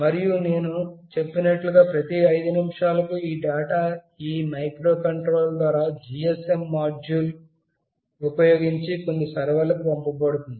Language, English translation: Telugu, And as I said every 5 minutes, these data will be sent through this microcontroller using a GSM module to some server